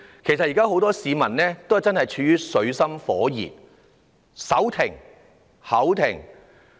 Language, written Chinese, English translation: Cantonese, 其實，現時很多市民也是處於水深火熱之中，"手停口停"。, In fact now many people have been in dire straits and living from hand to mouth